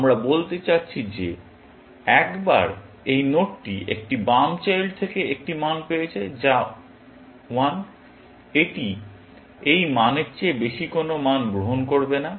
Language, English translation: Bengali, We mean that once, this node has seen one value from a left child, which is 1, it is not going to accept any value, which higher than this value